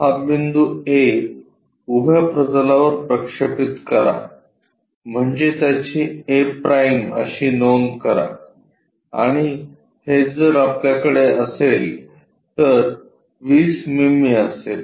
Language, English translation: Marathi, Project this point A on to vertical plane so, that note it down a’ and this one if we are having that will be 20 mm